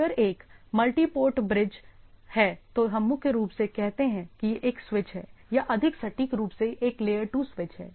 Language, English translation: Hindi, So, if it is, if there is a multi port bridge, we primary we say that is a switch or more precisely is a layer 2 switch